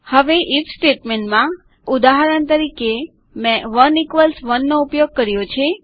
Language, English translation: Gujarati, Now, in the IF statement, for example I used 1==1